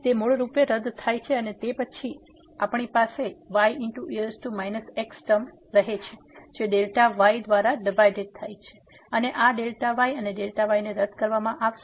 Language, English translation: Gujarati, So, it basically gets cancelled and then, we have here power minus term divided by delta and this delta and delta will be cancelled